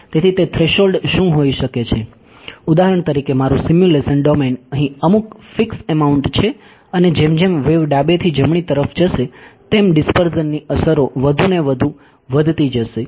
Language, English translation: Gujarati, So, what can that threshold be; for example, my simulation domain is some fixed amount over here and as the wave travels from the left to the right the dispersion effects will grow more and more